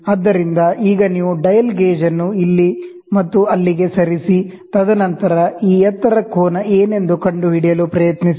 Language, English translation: Kannada, So, now you will put a dial gauge move it here and there, and then try to figure out what is this height angle